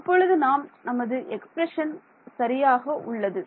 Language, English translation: Tamil, Now our expression is correct